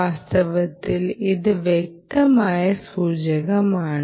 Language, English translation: Malayalam, in fact this is a clear indicator, right, this